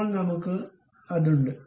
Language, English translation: Malayalam, Now, we have that